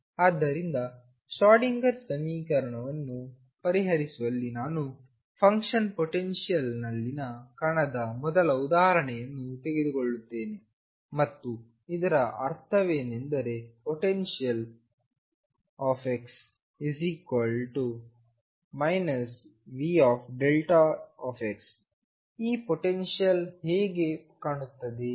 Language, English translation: Kannada, So, in solving Schrodinger equation let me take the first example of particle in a delta function potential and what I mean by that is that the potential V x is equal to minus V 0 delta of x, how does this potential look